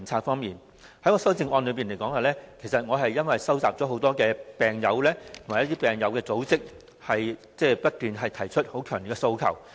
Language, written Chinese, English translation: Cantonese, 我提出修正案，因為我收集了很多病友及病友組織不斷提出的強烈訴求。, I have proposed my amendment because I have received the strong requests repeatedly raised by many patients and patient groups